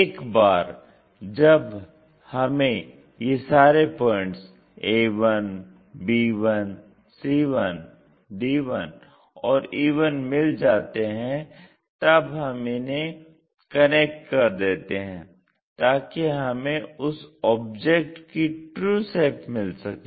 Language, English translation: Hindi, Once we have these points a, b 1, c 1, d 1 and e 1, we connect it to get the true shape or original shape of that object